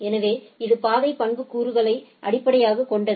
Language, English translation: Tamil, So, which is based on the path attributes